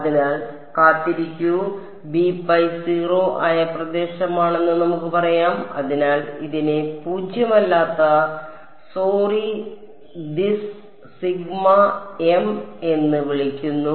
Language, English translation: Malayalam, So, wait so, let us say that this is the region where this b m is 0 so, we call this non zero sorry this sigma m it